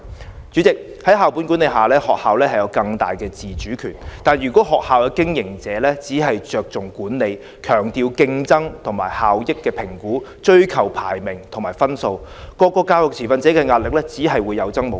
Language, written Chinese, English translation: Cantonese, 代理主席，在校本管理下，學校有更大的自主權，但如果學校的經營者只着重管理，強調競爭和效益的評核，追求排名和分數，各個教育持份者的壓力只會有增無減。, Deputy President schools can have greater autonomy under school - based management . However if school operators just focus on management competition effectiveness assessment higher rankings and higher scores all education stakeholders will be further hard - pressed